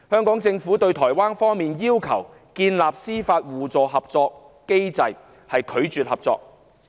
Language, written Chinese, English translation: Cantonese, 對於台灣方面要求建立司法互助合作機制，香港政府拒絕合作。, The Hong Kong Government refused to cooperate with Taiwan which had requested the establishment of a mechanism for mutual legal assistance